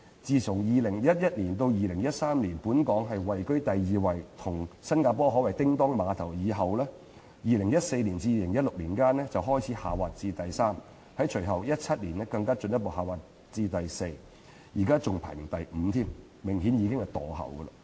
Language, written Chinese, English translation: Cantonese, 從2011年至2013年本港均位居第二，與榜首的新加坡可謂"叮噹馬頭"，但在2014年至2016年間則開始下滑至第三位，在隨後的2017年更進一步下滑至排名第四，現在更只能排在全球第五位，明顯已經"墮後"。, From 2011 to 2013 Hong Kong took the second place being able to challenge Singapore which took the first place . But from 2014 to 2016 Hong Kong dropped to the third place and even further dropped to the fourth place in the ensuing 2017 . Now it can only take the fifth place having obviously been lagging behind